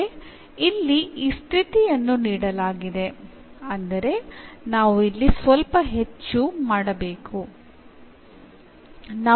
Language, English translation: Kannada, But here this condition is given; that means, we have to do little more here